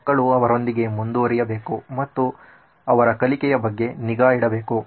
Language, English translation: Kannada, The children have to keep up with her and also keep track of their learning